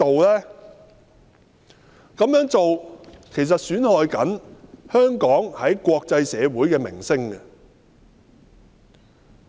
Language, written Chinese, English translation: Cantonese, 這樣做正損害香港在國際社會的名聲。, This move has exactly damaged the reputation of Hong Kong in the international community